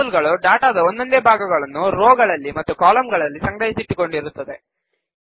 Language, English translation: Kannada, Tables have individual pieces of data stored in rows and columns